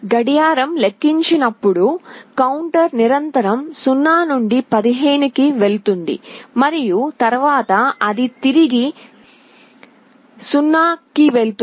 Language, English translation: Telugu, As the clock counts the counter will continuously go from 0 to 15 and then again it will go back to 0